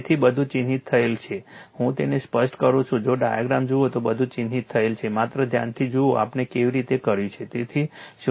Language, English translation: Gujarati, So, everything is marked let me clear it if you look at the diagram everything is marked for you just see carefully how we have done it right